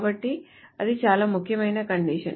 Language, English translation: Telugu, So that's a very important condition